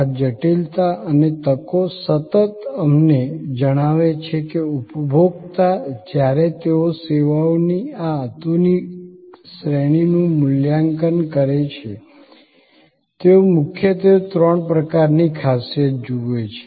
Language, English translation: Gujarati, This complexity and opportunity continuum tell us that consumer, when they evaluate this modern range of services; they primarily look at three types of qualities